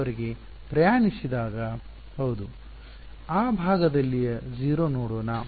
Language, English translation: Kannada, Let us see that side the 0